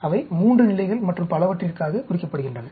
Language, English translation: Tamil, They are meant for 3 levels and so on